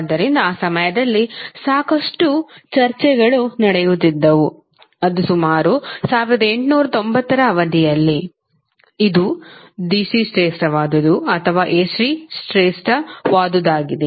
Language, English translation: Kannada, So, at that time, a lot of debates were going on that was around 1890 period that which is superior whether DC is superior or AC is superior